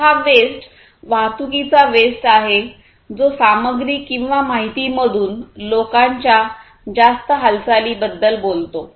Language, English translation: Marathi, So, these wastes are transportation wastes, which talks about excessive movement of people from materials or information